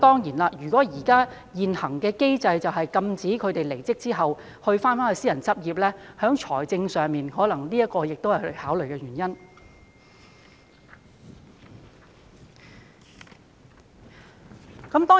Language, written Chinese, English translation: Cantonese, 然而，由於現行機制禁止他們離職後再度私人執業，財政方面當然亦可能是他們的考慮因素。, Yet as they are prohibited from returning to private practice after leaving the Bench under the existing mechanism certainly financial issues may constitute a factor in their consideration as well